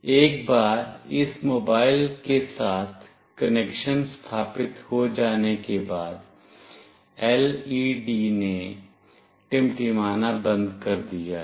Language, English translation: Hindi, Once the connection is established with this mobile, the LED has stopped blinking